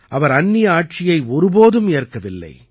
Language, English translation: Tamil, He never accepted foreign rule